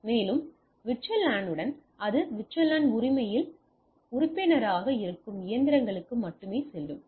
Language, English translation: Tamil, And with VLAN it goes to that only those machines which are the member of the VLAN right